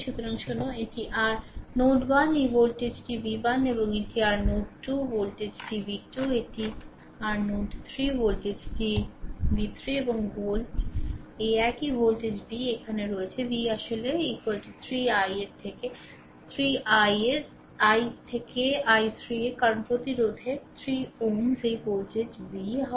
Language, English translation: Bengali, So, listen this is your node 1 this voltage is v 1 right and this is your node 2 voltage is v 2, this is your node 3 voltage is v 3 and volt this one voltage v is here, v actually is equal to 3 into i 3 from Ohms law, because the resistance is 3 ohm this voltage is v right